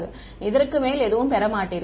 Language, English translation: Tamil, You will not get anything more